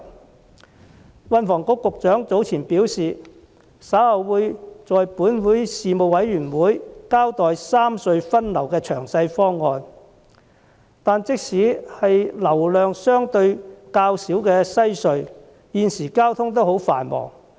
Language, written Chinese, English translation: Cantonese, 運輸及房屋局局長早前表示，稍後會在立法會交通事務委員會交代三隧分流的詳細方案，但即使是流量相對較少的西區海底隧道，現時交通也很繁忙。, The Secretary for Transport and Housing said earlier that a detailed proposal on the re - distribution of traffic among the three cross - harbour tunnels will be presented to the Legislative Council Panel on Transport later . While traffic flow at the Western Harbour Crossing is said to be low relatively the volume of traffic is in fact rather heavy at present